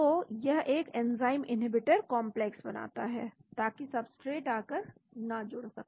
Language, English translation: Hindi, So, it forms an enzyme inhibitor complex so the substrate is not able to come and bind